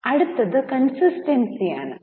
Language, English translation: Malayalam, The next one is consistency